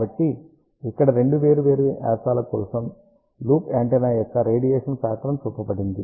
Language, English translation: Telugu, So, here radiation pattern of loop antenna is shown for two different diameters